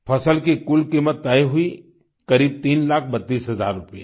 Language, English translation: Hindi, The total cost of the produce was fixed at approximately Rupees Three Lakh thirty two thousand